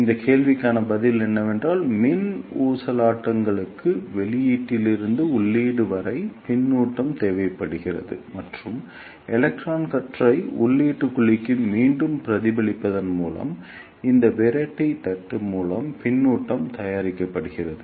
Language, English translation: Tamil, The answer to this question is that for electrical oscillations we need feedback from output to input and that feedback is produced by this repeller plate by reflecting the electron beam back to the input cavity